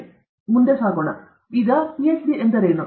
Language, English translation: Kannada, okay What is a Ph